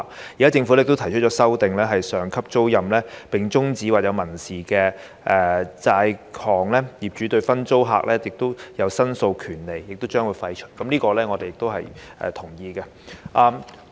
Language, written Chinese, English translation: Cantonese, 現在政府也提出修訂，在上級租賃終止或存在民事債項時，業主對分租客提出申索的權利將予廢除，我們也同意這點。, Now the Government has proposed an amendment to the effect that when a superior tenancy terminates or there is a civil debt the right of the landlords to make claims against the sub - tenant is abrogated . We also agree to this amendment